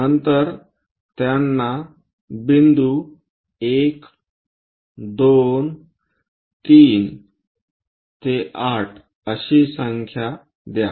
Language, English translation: Marathi, Then number them as point 1, 2, 3 all the way to 8